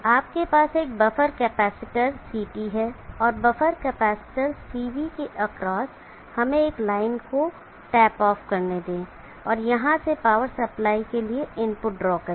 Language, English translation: Hindi, You have above the capacitor CT and across the buffer capacitor CT let us tap of a line, and let us draw the input for the power supply from here